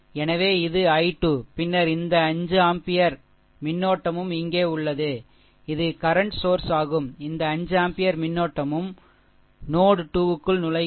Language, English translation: Tamil, So, this is i 2 then this 5 ampere current also here, this is current source, this 5 ampere current also entering into node 2